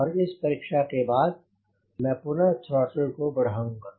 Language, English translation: Hindi, after this i will again increase the throttle